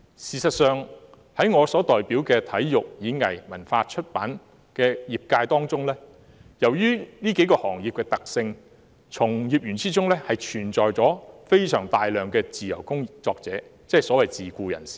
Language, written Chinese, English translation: Cantonese, 事實上，在我代表的體育、演藝、文化及出版界中，基於行業的特性，從業員中有相當多的自由工作者，即所謂的自僱人士。, In fact in the sports performing arts culture and publication sector represented by me owing to the characteristics of the sector a large number of practitioners are freelancers that means the so - called self - employed persons